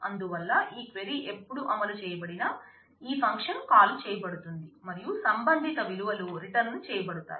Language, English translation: Telugu, So, whenever I whenever this query will get executed, this function will be called, and the corresponding values will get returned